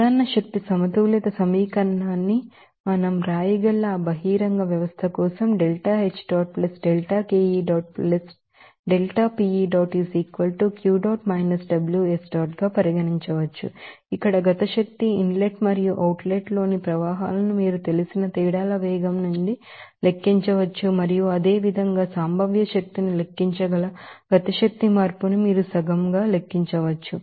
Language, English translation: Telugu, As for that general energy balance equation for that open system we can write here kinetic energy can be calculated from the velocity of differences to you know streams in inlet and outlet and what would the kinetic energy change that is half you squared from that you can calculate similarly potential energy